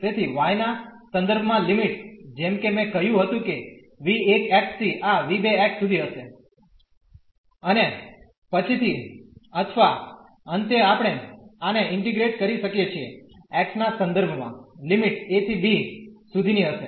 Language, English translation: Gujarati, So, with respect to y the limits as I said will be from v 1 x to this v 2 x and later on or at the end we can integrate this with respect to x the limits will be from a to b